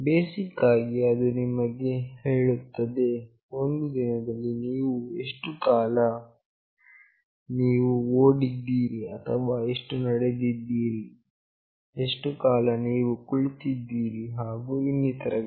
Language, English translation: Kannada, Basically it will tell you that in a day how much time you have run or how much time you have walked, how much time you are sitting and so on